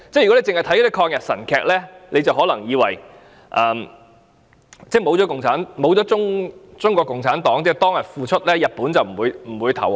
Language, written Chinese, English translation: Cantonese, 如果只看抗日神劇，可能會以為沒有中國共產黨當天的付出，日本便不會投降。, The audience of anti - Japanese dramas may think that Japan would not have surrendered without the contributions of the Chinese Communist Party on that day